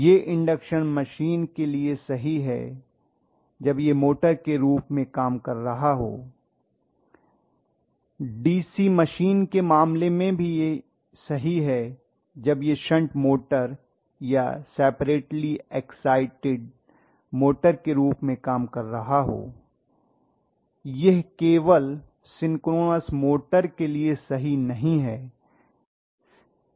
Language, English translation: Hindi, This is true in induction machine when it is working as the motor, this is very true in the case of DC machine when it is again working as a shunt motor or separately exited motor, this is not true only in synchronous motor